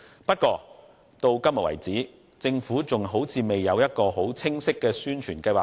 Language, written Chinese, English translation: Cantonese, 不過，到目前為止，政府似乎還未有清晰的宣傳計劃。, However it seems that the Government has no clear publicity plan so far